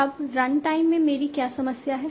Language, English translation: Hindi, Now Now what is the problem at runtime